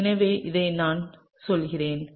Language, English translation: Tamil, So, let me go through this